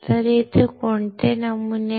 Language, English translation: Marathi, What patterns are there